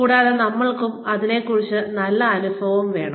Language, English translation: Malayalam, And, we also want to feel, good about it